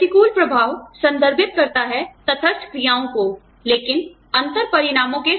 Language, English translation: Hindi, Adverse impact refers to, neutral actions, but with differential consequences